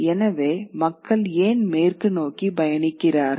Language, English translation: Tamil, So why is it that people travel westwards